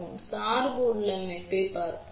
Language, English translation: Tamil, So, let us see the biasing configuration